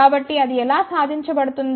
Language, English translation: Telugu, So, how that is achieved